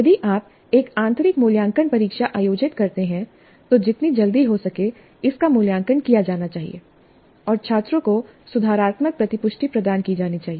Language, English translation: Hindi, If you conduct an internal assessment test as quickly as possible, it must be evaluated and feedback must be provided to the students, the corrective feedback